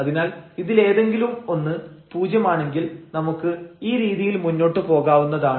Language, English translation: Malayalam, So, at least one of them s 0 then we can proceed in this way